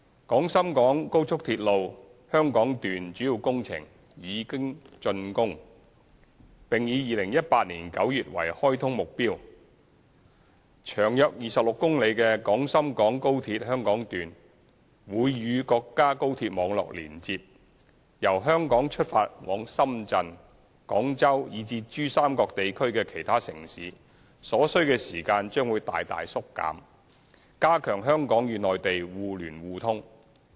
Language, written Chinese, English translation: Cantonese, 廣深港高速鐵路香港段主要工程已經竣工，並以2018年9月為開通目標，長約26公里的廣深港高鐵香港段會與國家高鐵網絡連接，由香港出發往深圳、廣州以至珠三角地區的其他城市的所需時間將會大大縮短，加強基建互聯互通。, The Hong Kong Section of the Guangzhou - Shenzhen - Hong Kong Express Rail Link XRL with its major works having been completed is targeted for commissioning in September 2018 . The 26 km Hong Kong Section of XRL will connect to the national high - speed rail network and will significantly reduce the journey time from Hong Kong to Shenzhen Guangzhou or other cities in the Pearl River Delta region thus contributing to the promotion of connectivity between Hong Kong and the Mainland